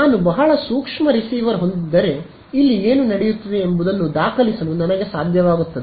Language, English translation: Kannada, If I had a very sensitive receiver, I will be able to record what is happening over here